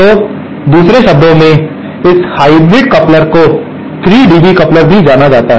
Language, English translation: Hindi, So, in other words, that is why this hybrid coupler is also known as the 3 dB coupler